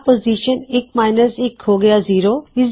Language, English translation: Punjabi, So, position one minus one is infact zero